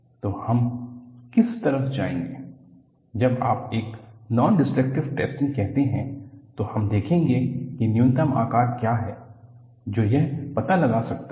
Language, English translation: Hindi, So, what we will go about is, when you say a nondestructive testing, we will see that what the minimum size it can detect